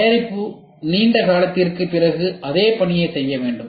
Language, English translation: Tamil, The product should perform the same task after a long period of time